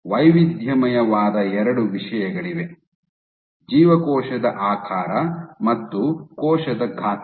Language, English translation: Kannada, So, there are two things that they varied the cell shape and cell size